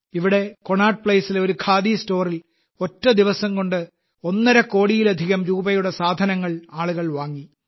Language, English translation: Malayalam, Here at Connaught Place, at a single Khadi store, in a single day, people purchased goods worth over a crore and a half rupees